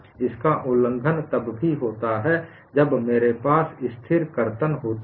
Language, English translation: Hindi, That is violated even when I have a constant shear